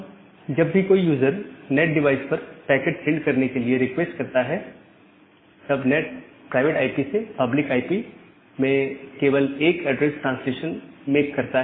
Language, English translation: Hindi, And then whenever a user request send the packet to the NAT, the NAT just make an address translation from a private IP to a public IP